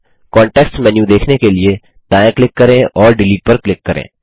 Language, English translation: Hindi, Right click to view the context menu and click Delete